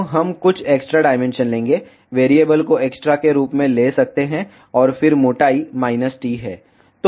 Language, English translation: Hindi, So, we will take some extra dimension may be take the variable as extra and then thickness is minus t